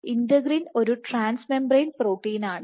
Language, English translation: Malayalam, So, integrin being a trans membrane protein from the surface